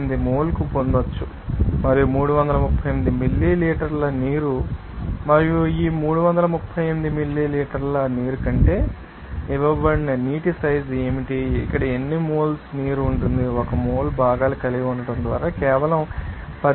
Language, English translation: Telugu, 78 mole and also what would be the volume of water it is given that is 338 milliliter of water and this 338 milliliter of the water that means, here how many moles of water will be there that will be just simply 18